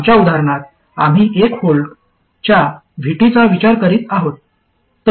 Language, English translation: Marathi, In our examples, we have been considering VT of 1 volt, so VG minus 1 volt